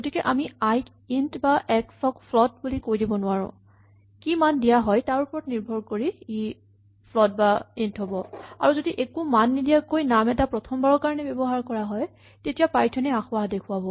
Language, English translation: Assamese, So, we cannot say that i is of type int or x is of type float, rather it depends on what values assigned and in particular, if a name is used for the first time without assigning a value then python will complain